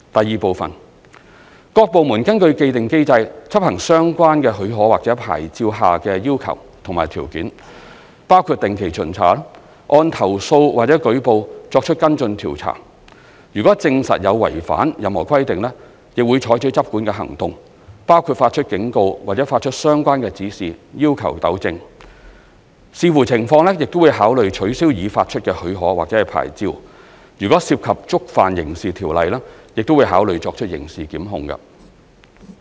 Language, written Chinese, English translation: Cantonese, 二各部門根據既定機制執行相關許可或牌照下的要求及條件，包括定期巡查、按投訴或舉報作出跟進調查，如證實有違反任何規定，會採取執管行動，包括發出警告或發出相關指示要求糾正，視乎情況亦會考慮取消已發出的許可或牌照，若涉及觸犯刑事條例亦會考慮作出刑事檢控。, 2 Government departments enforce the requirements and conditions of the relevant permitslicences according to their established mechanisms including regular inspections and follow - up investigations in response to complaints or reports . Where any irregularity is substantiated enforcement actions will be taken including issuance of warnings or relevant instructions for rectification . Depending on the circumstances actions to cancel the permit or licence issued and criminal prosecution if contravention of criminal law is involved will be considered